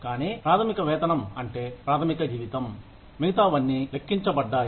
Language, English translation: Telugu, But, basic pay is, the basic salary on which, everything else is calculated